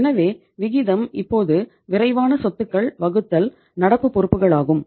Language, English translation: Tamil, So the ratio becomes now quick assets divided by the current liabilities